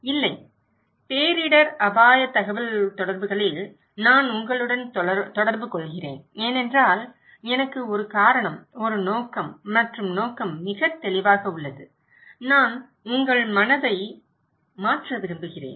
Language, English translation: Tamil, No, in disaster risk communications I am communicating with you because I have a reason, a purpose and the purpose is very clear that I want to change your mind okay